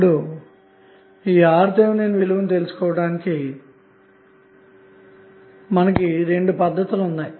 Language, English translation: Telugu, Now to find out the value of RTh there are two different cases